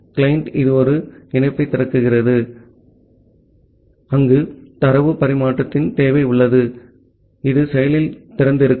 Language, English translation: Tamil, And the client it only opens a connection where there is a need for data transfer that is the kind of active open